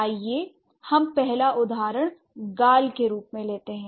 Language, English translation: Hindi, So, the first example let's take is cheek